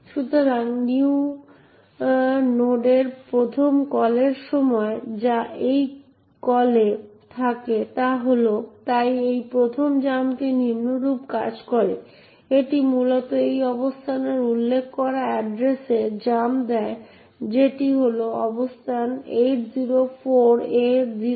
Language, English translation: Bengali, So, during the first call of new node which is at this call, so this first jump works as follows, it essentially jumps to the address which is specified in this location over here that is the location 804A024